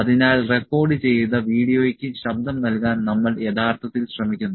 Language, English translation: Malayalam, So, we actually trying to put the voice over the recorded video